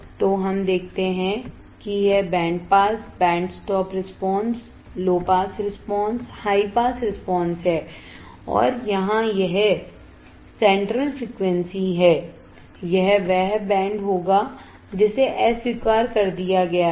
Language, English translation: Hindi, So, we see this is the band pass, band stop response, low pass response, high pass response and here this is center frequency, this will be the band which is rejected